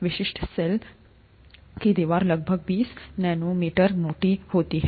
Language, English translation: Hindi, Typical cell wall is about twenty nanometers thick, okay